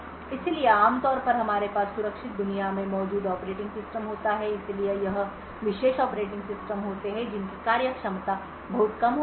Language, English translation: Hindi, So, typically we would have operating system present in the secure world so this are specialized operating systems which have very minimal functionality